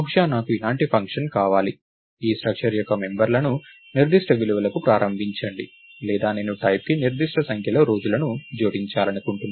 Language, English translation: Telugu, So, maybe I want a function like this, initialize the members of this structure to certain values or I may want to add a certain number of days to the type